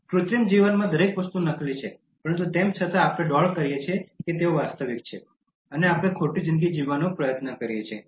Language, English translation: Gujarati, In an artificial life, everything is fake but still we pretend that things are real, and we try to live a false life